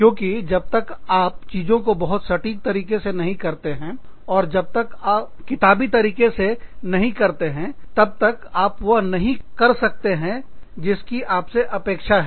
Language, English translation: Hindi, Because, unless things are done, with the enormous amount of precision, and unless things are done by the book, you just cannot do, what you are required to do